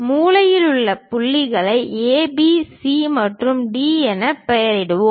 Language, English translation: Tamil, Let us name the corner points as A, B, C, and D